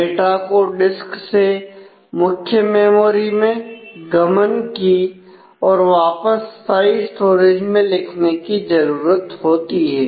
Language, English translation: Hindi, So, data needs to be moved from disk to the main memory and written back for permanent storage